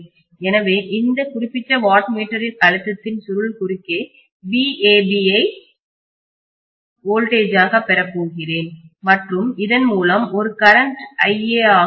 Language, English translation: Tamil, So in watt meter one I have here voltage of A phase and here voltage of B phase so I am going to get VAB as the voltage across the pressure coil of this particular watt meter and a current through this is going to be iA